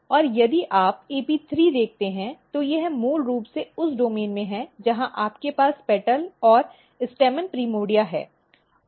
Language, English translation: Hindi, And if you look AP3 it is basically in the domain where you have petal and stamen primordia